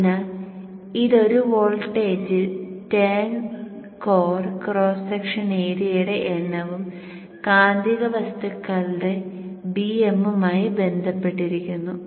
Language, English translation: Malayalam, See the voltage is related to number of turns, core cross section area, the magnetic materials BM